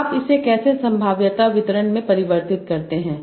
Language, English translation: Hindi, Now how do you convert that to probability distribution